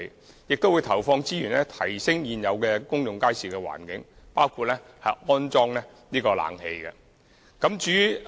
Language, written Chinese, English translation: Cantonese, 我們亦會投放資源改善現有公眾街市的環境，包括安裝空調設施。, We will also deploy resources on improving the conditions inside existing public markets including the installation of air - conditioning